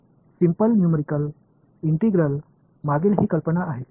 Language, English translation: Marathi, So, that is the idea behind simple numerical integration